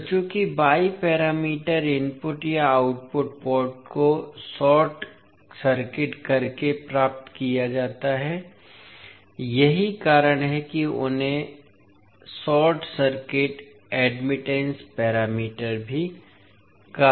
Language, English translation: Hindi, So, since the y parameters are obtained by short circuiting the input or output ports that is why they are also called as the short circuit admittance parameters